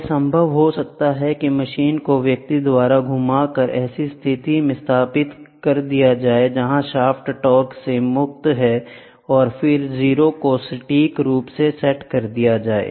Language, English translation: Hindi, It may be possible by manually rotating the machine slightly to establish the position where the shaft is free of torque and then set the 0 accurately